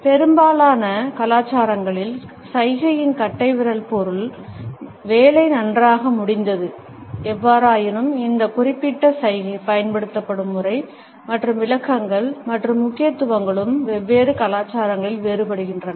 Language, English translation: Tamil, Thumbs of gesture in most of the cultures means; that the job has been completed nicely; however, the pattern in which this particular gesture is taken up and the interpretations and emphases are also different in different cultures